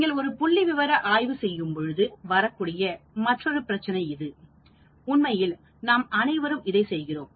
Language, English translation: Tamil, That is another issue that can come into when you are doing a statistical study; actually, we all do that